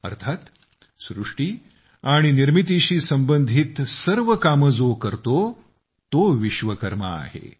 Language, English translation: Marathi, Meaning, the one who takes all efforts in the process of creating and building is a Vishwakarma